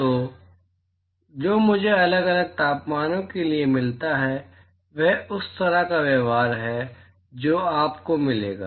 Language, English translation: Hindi, So, what I find is for different temperatures, that is the kind of behaviour that you will get